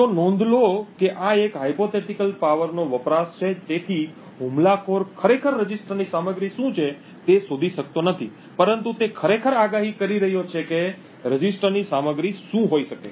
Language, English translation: Gujarati, So, note that this is a hypothetical power consumed so the attacker is not actually finding out what the contents of the register is but he is just actually predicting what the contents of the register may be